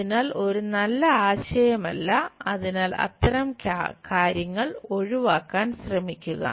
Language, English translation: Malayalam, So, is not a good idea so, try to avoid such kind of things